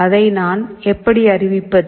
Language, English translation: Tamil, How do I declare that